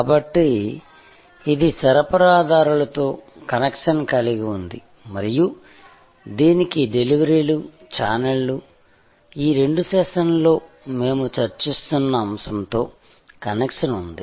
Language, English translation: Telugu, So, it had connection with suppliers and it had connection with the deliverers, the channels, the topic that we are discussing in these two sessions